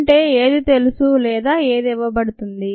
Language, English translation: Telugu, so what is known or given